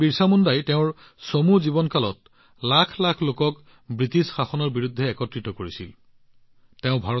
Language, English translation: Assamese, Bahgwan BirsaMunda had united millions of people against the British rule in his short lifetime